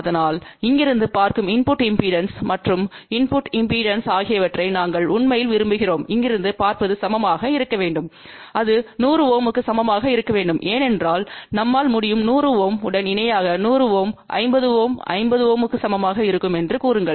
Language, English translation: Tamil, So, what we really want that the input impedance looking from here and input impedance looking from here should be equal and that should be equal to 100 ohm because, then we can say a 100 ohm in parallel with the 100 ohm will be equal to 50 ohm